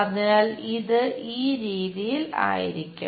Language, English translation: Malayalam, So, it will be in this way